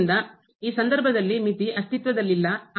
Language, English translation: Kannada, So, in this case the limit does not exist